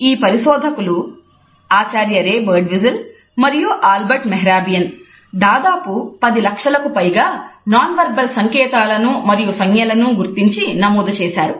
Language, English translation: Telugu, These researchers, Professor Ray Birdwhistell and Mehrabian noted and recorded almost a million nonverbal cues and signals